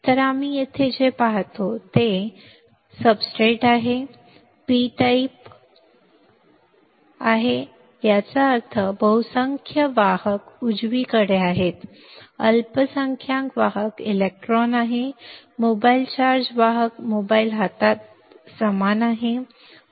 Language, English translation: Marathi, So, what we see here is you see here this is the substrate, the substrate is P type right; that means, the majority carriers are holds right minority carriers are electrons, mobile charge carriers equals to in mobile hands